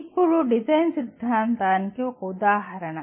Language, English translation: Telugu, Now, this is one example of design theory